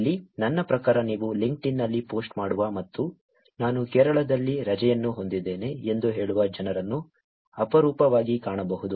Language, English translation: Kannada, Here, I mean, you will rarely find people posting on LinkedIn and saying I am having vacation in Kerala